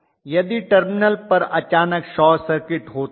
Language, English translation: Hindi, If suddenly a short circuit occurs at the terminals